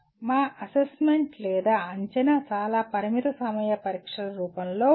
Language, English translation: Telugu, Most of our evaluation or assessment is in the form of limited time examinations